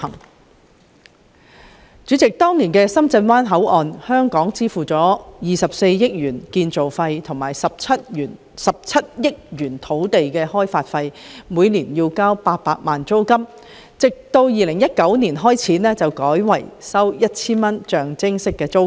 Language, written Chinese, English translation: Cantonese, 代理主席，就當年的深圳灣口岸工程，香港支付了24億元建造費和17億元土地開發費，並每年繳交800萬元租金，直至2019年改為每年支付 1,000 元的象徵式租金。, Deputy President with regard to the project undertaken back in those years to develop the Shenzhen Bay Port the Hong Kong side has paid a construction cost of 2.4 billion and a land development cost of 1.7 billion together with an annual land rental of 8 million . The land rental has been adjusted to a nominal amount of 1,000 annually since 2019